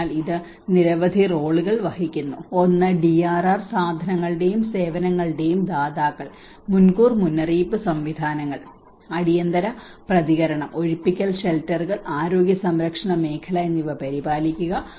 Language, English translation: Malayalam, So it plays a number of roles, one is as a providers of DRR goods and services for instance, maintaining early warning systems, emergency response, evacuation shelters and the healthcare sector